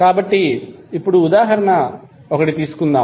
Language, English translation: Telugu, Now, let us take another example